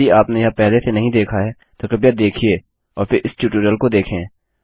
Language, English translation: Hindi, If you have not seen that already, please do so and then go through this tutorial